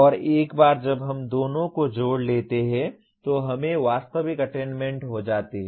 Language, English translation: Hindi, And once we combine the two then we get the actual attainments